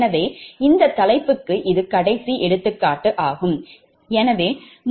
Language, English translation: Tamil, so that means that and for this topic this is the last example, right